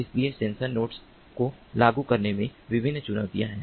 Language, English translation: Hindi, so there are different challenges in implementing sensor networks